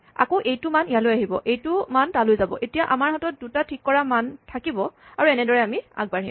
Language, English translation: Assamese, Again this value will come here this value will go there and now we will have two elements fixed and so on